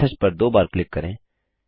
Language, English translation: Hindi, Lets double click on the message